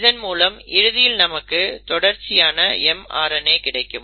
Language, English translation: Tamil, So now you have the mRNA molecule which is ready